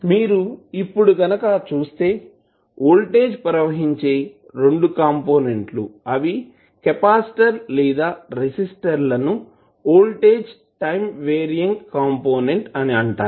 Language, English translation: Telugu, so, here you will see that, the voltage across both of the components whether it is capacitor or resistor is are time varying component